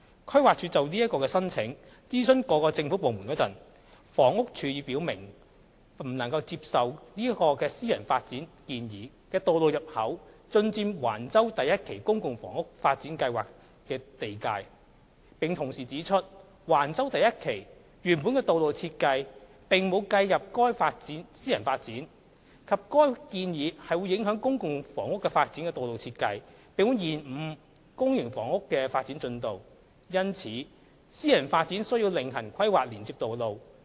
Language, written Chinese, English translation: Cantonese, 規劃署就這個申請諮詢各政府部門時，房屋署已表明不能接受該私人發展建議的道路入口進佔橫洲第1期公共房屋發展計劃的地界，並同時指出，橫洲第1期原本的道路設計並無計入該私人發展，以及該建議會影響公共房屋發展的道路設計，並會延誤公營房屋的發展進度，因此，私人發展需要另行規劃連接道路。, When the Planning Department consulted related government departments on this application HD raised objection on the ground that ingress of the road proposed by the private development would encroach into the boundary of the Phase 1 public housing development at Wang Chau . HD also pointed out that the original design of the public road for Wang Chau Phase 1 had not taken into account the private development; given that the proposal would affect the road design of the public housing development and hold over its development progress the private development should plan its alternative road connection